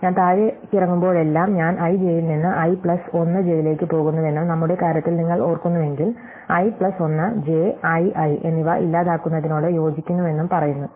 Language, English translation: Malayalam, So, every time I go down, it amounts to saying that I go from i j to i plus 1 j and if you remember in our case, i plus 1 j and i i is corresponding to deleting